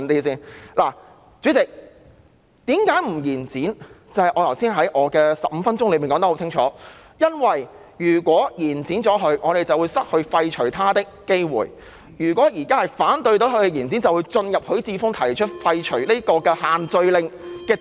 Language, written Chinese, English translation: Cantonese, 代理主席，為甚麼不延展，在我接近15分鐘的發言說得很清楚，因為如果延展修訂期限，我們便會失去廢除它的機會；如果現在反對延展，便能夠進入許智峯議員提出廢除限聚令的議案。, Deputy President why do I oppose the extension? . I have provided my reasons clearly in my near - 15 - minute speech . If the extension is passed we will lose the opportunity to repeal the subsidiary legislation